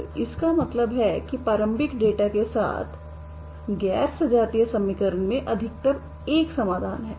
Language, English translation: Hindi, So this means non homogeneous equation this one the non homogeneous equation with the initial data has at most one solution